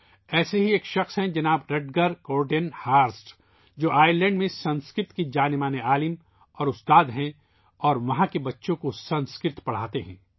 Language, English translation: Urdu, Rutger Kortenhorst, a wellknown Sanskrit scholar and teacher in Ireland who teaches Sanskrit to the children there